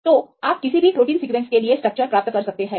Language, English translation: Hindi, So, you can get the structures for any protein sequences